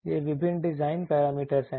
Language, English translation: Hindi, These are the various design parameters